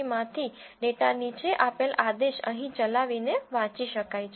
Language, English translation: Gujarati, csv can be read by executing this following command here